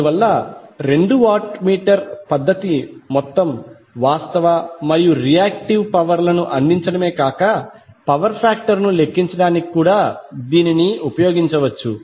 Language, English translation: Telugu, So what you can say that the two watt meter method is not only providing the total real power, but also the reactive power and the power factor